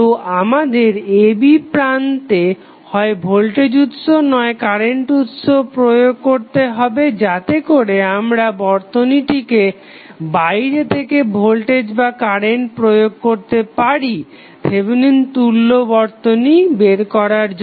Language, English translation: Bengali, Then we have to apply either the voltage or the current source across the a and b terminals so that we can excite this circuit from outside to find out the value of Thevenin equivalent